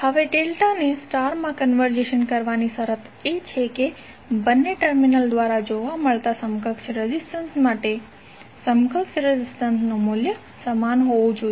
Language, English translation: Gujarati, Now, the condition for conversion of delta into star is that for for the equivalent resistance seen through both of the terminals, the value of equivalent resistances should be same